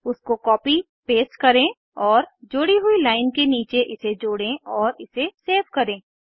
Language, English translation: Hindi, Let us copy and paste that and add it just below the line we added and save it